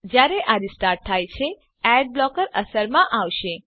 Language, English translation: Gujarati, When it restarts, the ad blocker will take effect